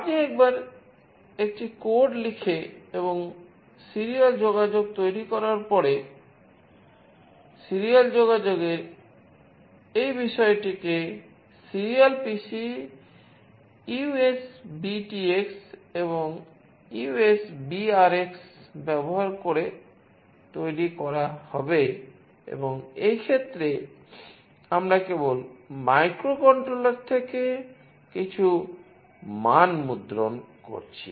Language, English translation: Bengali, Once you write a code and make the serial communication, the serial communication will be made using this object that is serial PC USBTX and USBRX and here in this case, we are just printing some value from the microcontroller